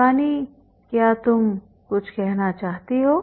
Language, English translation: Hindi, You want to say something